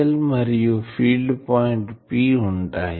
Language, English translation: Telugu, dl and this is the field point P